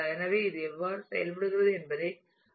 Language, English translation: Tamil, So, let us see what how it works